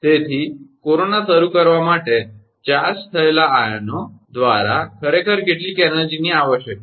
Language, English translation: Gujarati, So, that some energy is required actually, by the charged ions to start corona